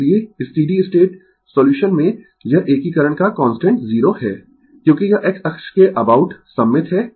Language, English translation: Hindi, So, this constant of integration is 0 in the steady state solution as it is symmetrical about X axis